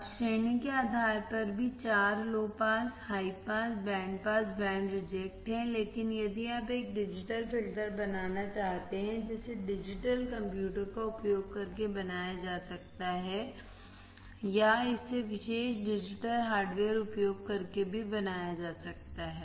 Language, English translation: Hindi, Now, also based on the category there are four low pass, high pass, band pass, band reject, but if you want to form a digital filter that can be implemented using a digital computer or it can be also implemented using special purpose digital hardware